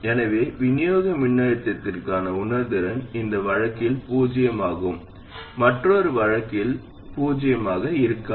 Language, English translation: Tamil, So the sensitivity to supply voltage will be zero in this case and non zero in that case